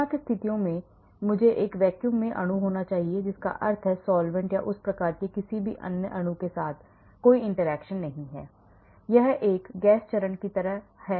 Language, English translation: Hindi, boundary conditions should I have the molecule in a vacuum that means that there is no interaction with solvents or any other molecule of that type it is more like a gas phase